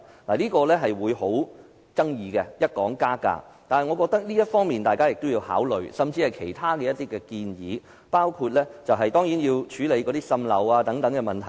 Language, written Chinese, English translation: Cantonese, 一談到加價，便極富爭議性，但我認為大家有需要考慮這點，甚至是其他建議，包括處理滲漏等問題。, Once fee increase gets into our discussion it will become very controversial but I think we need to consider this point or other proposals including addressing the problem of leakage